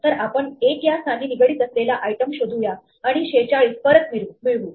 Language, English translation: Marathi, So, we will search for the item associated with 1 and we get back 46